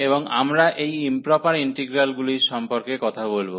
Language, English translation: Bengali, And we will be talking about this improper integrals